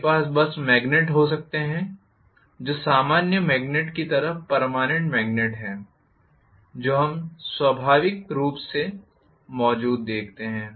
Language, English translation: Hindi, I can simply have magnets which are permanent magnets like the normal magnets what we see naturally existing